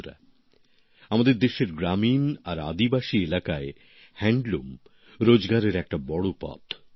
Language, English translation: Bengali, Friends, in the rural and tribal regions of our country, handloom is a major source of income